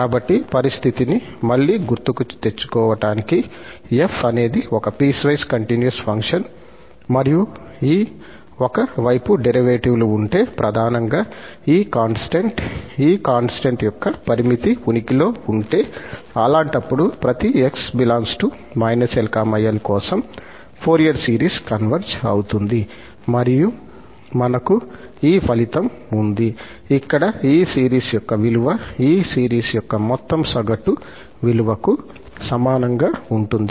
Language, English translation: Telugu, So, just to recall the condition again, if f is a piecewise continuous function and these one sided derivatives, mainly this quotient, the limit of this quotient and the limit of this quotient exist, in that case, we call that for each x in this interval minus L to L, the Fourier series converges and we have this result, that the value of this series here, the sum of this series is going to be equal to the average value of the function at that point, where this f is the right hand limit at x and f is the left hand limit of f at x